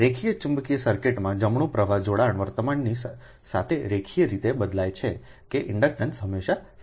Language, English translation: Gujarati, in a linear magnetic circuit, right, flux linkages vary linearly with the current right, such that the inductance always remain constant, right